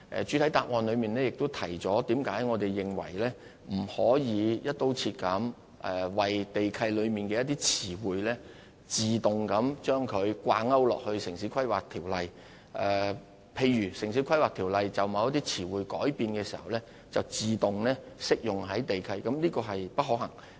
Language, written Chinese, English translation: Cantonese, 主體答覆亦提到為何我們認為不可以"一刀切"把地契中的詞彙，自動與《城市規劃條例》掛鈎，因為把《城市規劃條例》就某些詞彙作出的改變自動適用於地契是不可行的。, I also mentioned in the main reply the reason why we cannot automatically align the terms used in land leases with those in the Town Planning Ordinance under a broad - brush approach . It is because it is not feasible to automatically align the amendments made to the terms used in the Town Planning Ordinance with the terms used in land leases